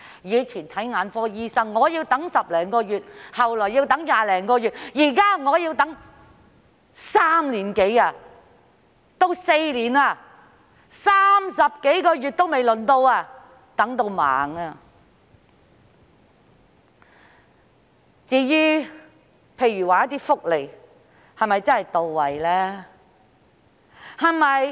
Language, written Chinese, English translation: Cantonese, 以往，眼科診症要輪候10多個月，後來要20多個月，現在要等3至4年 ，30 多個月還未輪候到，真的等到盲。, In the past a patient may need to wait for more than 10 months for an ophthalmic appointment then more than 20 months and now one has to wait for three to four years . If a patient cannot seek consultation even after a wait of 30 - odd months he may really become blind